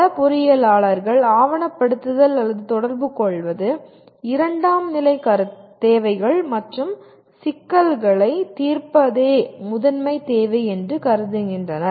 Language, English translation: Tamil, Somehow many engineers consider documentation is something or communicating is a secondary requirements and the primary requirement is to solve the problems